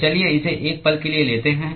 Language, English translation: Hindi, So, let us take that for a moment